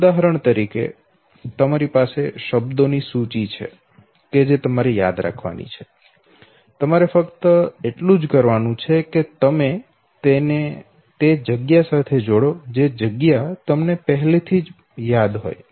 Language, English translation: Gujarati, So say for example if you have a list of words with you that you have to memorize, all you have to do is, that you associate it with the space that you have already memorized